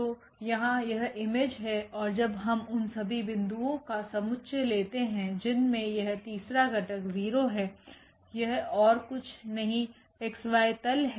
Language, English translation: Hindi, So, this is the image here and when we have set here all the points where this third component is 0 this is nothing but the xy plane